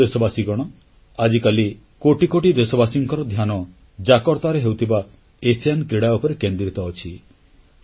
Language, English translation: Odia, The attention of crores of Indians is focused on the Asian Games being held in Jakarta